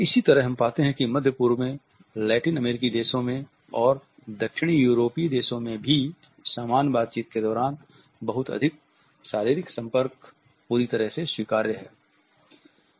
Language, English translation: Hindi, In the same way we find that in Middle East in Latin American countries and in Southern European countries also a lot more physical contact during normal conversations is perfectly permissible